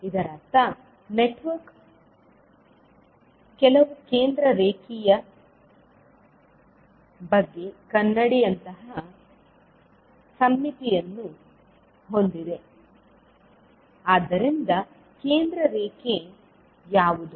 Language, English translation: Kannada, It means that, the network has mirror like symmetry about some center line, so, what would be the center line